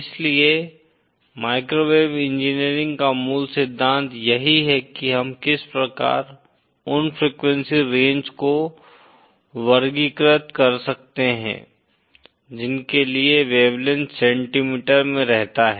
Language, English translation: Hindi, So microwave engineering is more or less this is how we can classify that those range of frequencies for which wavelength remains in centimetre